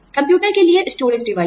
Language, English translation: Hindi, Storage devices for the computer